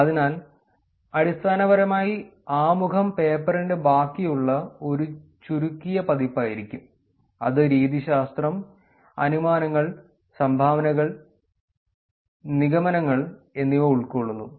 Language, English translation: Malayalam, So, essentially introduction would be just a shorter abridged version of the rest of the paper which is covering methodology, inferences, contributions, and conclusions